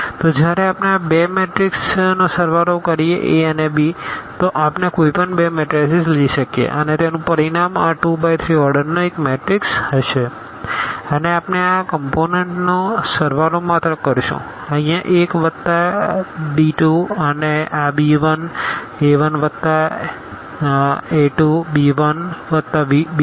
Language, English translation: Gujarati, So, when we add these two matrix a and b and we can take any two matrices the result would be again this matrix of order 2 by 3 and we will be just adding these components here a 1 plus b 2 this b 1 a 1 plus a 2 b 1 plus b 2 and so on